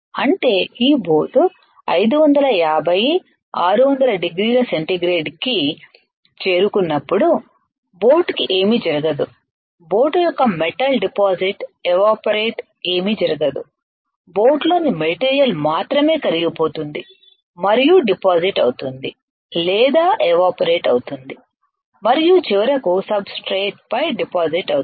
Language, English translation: Telugu, That means, when this boat will reach 550, 600 nothing will happen to the boat metal of the boat will not get deposited or evaporated, only the material within the boat will get melted and gets deposited or gets evaporated and finally, deposited onto the substrate correct